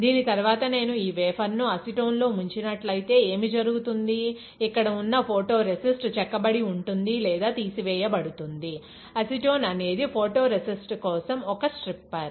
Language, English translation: Telugu, After this, if I further dip this wafer in acetone; what will happen, the photo resist that is here will be etched or will be stripped off, acetone is a stripper for photo resist